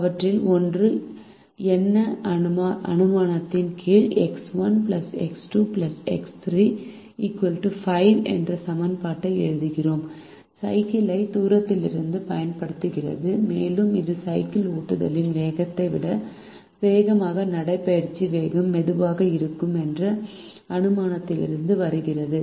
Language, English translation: Tamil, we write an equation: x one plus x two plus x three equals five, under the assumption that one of them is using the bicycle right through the distance, and that come from the assumption that the fastest of the walking speeds is lower than the slowest of the cycling speed